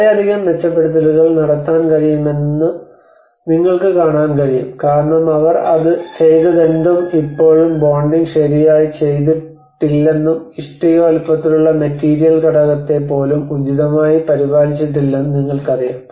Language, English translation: Malayalam, And you can see that a lot of improvement could be done because whatever they have done it still one can see that you know the bonding has not been appropriately taken care of even the material component on the bricks sizes